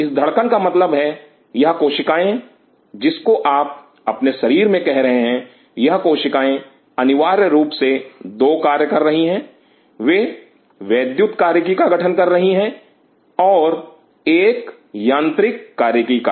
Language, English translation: Hindi, This beating means these cells what you are saying here in your body these cells are essentially they are performing two function; they are forming an electrical function and a mechanical function